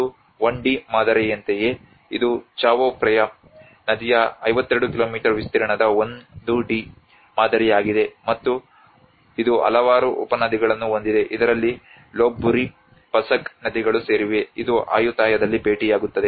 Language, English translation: Kannada, Like it is about a 1D model this is a 1D model of 52 kilometer stretch of Chao Phraya river and which has a number of tributaries that include Lopburi, Pasak rivers which actually meet at Ayutthaya